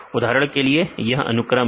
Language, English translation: Hindi, Now, for example this is the sequence